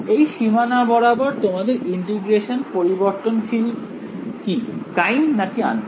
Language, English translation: Bengali, Along this boundary, so what is your variable of integration over here primed or unprimed